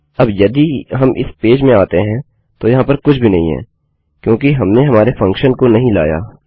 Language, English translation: Hindi, Now, if we enter this page, there is nothing, because we havent called our function